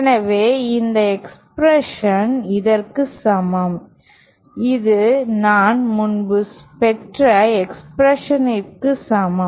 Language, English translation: Tamil, So, this expression is equal to this, which is same as the expression that I derived earlier